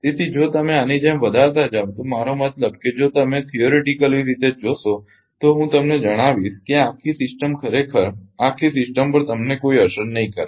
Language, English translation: Gujarati, So, if you go on increasing like this I mean if you see theoretically I will tell you then this whole system actually you will have no effect on this system right